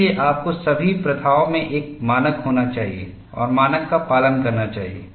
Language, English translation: Hindi, So, you need to have a standard and adhere to the standard in all the practices